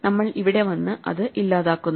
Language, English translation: Malayalam, So, we come here and then we delete it